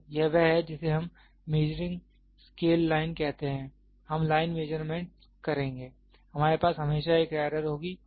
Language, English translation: Hindi, So, this is that is what we say in the measuring scale line, we will line measurement, we always will have is an error